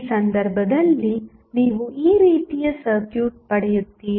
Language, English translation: Kannada, So, you will get circuit like this in this case